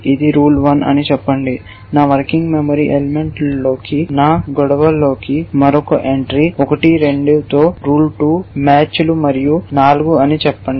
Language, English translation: Telugu, Let us say this is rule 1 another entry into my working memory element into my conflicts at would be rule 2 matches with 1, 2 and let us say 4